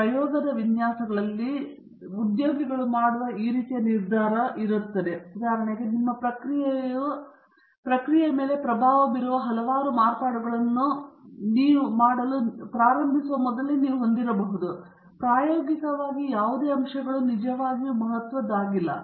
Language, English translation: Kannada, So, this kind of decision making you will employee in design of experiments, for example, you may have several variables influencing your process, upfront you start saying that none of the factors are really significant in the experiment